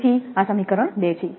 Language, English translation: Gujarati, So, this is equation two